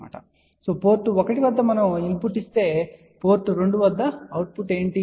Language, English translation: Telugu, Now, the input is given at port 2 and we are looking at the output at port 1